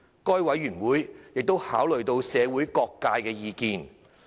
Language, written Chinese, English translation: Cantonese, 該委員會亦已考慮社會各界的意見。, MWC has considered the views of various sectors of the community